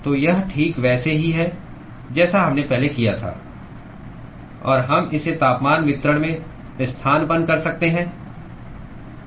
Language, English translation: Hindi, So, it is exactly what we did before; and we can substitute that into the temperature distribution